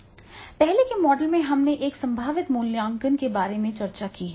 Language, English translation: Hindi, In earlier model we have discussed about the potential appraisal